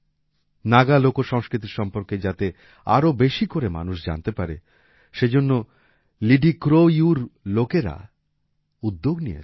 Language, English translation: Bengali, People at LidiCroU try to make more and more people know about Naga folkculture